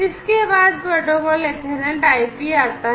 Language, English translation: Hindi, Next comes a protocol Ethernet/IP